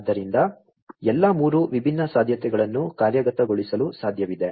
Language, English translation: Kannada, So, all the 3 different possibilities are possible to be implemented